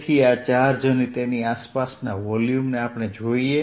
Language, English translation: Gujarati, so let us look at this charge and the volume around it